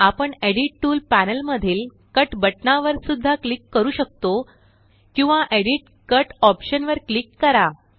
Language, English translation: Marathi, We can also click on the Cut button in the Edit tools panel OR click on Edit gtgt Cut option